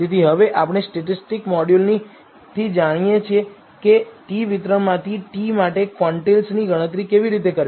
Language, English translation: Gujarati, So now, we know from the statistics module how to compute the quantiles for a t from a t distribution